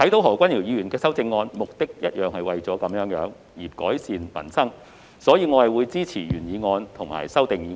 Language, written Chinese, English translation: Cantonese, 何君堯議員的修正案，同樣是為了改善民生這個目的，所以我會支持原議案及修正案。, As Dr Junius HOs amendment also seeks to improve peoples livelihood I will therefore support both the original motion and the amendment